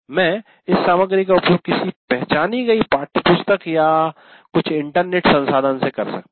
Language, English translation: Hindi, I may be using this material from a particular textbook or some internet resource